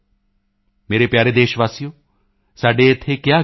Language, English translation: Punjabi, My dear countrymen, we it has been said here